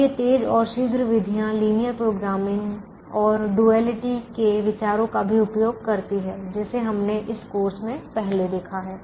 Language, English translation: Hindi, now these faster and quicker methods also use ideas from linear programming and duality that we have seen earlier in this course